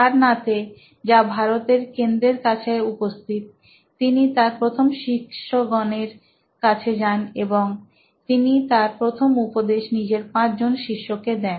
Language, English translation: Bengali, He went to his first set of students in Sarnath which is close to the heart of India and there he gave his discourse, first ever discourse to 5 of his students